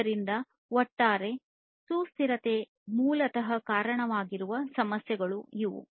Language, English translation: Kannada, So, these are the issues that basically contribute to the overall sustainability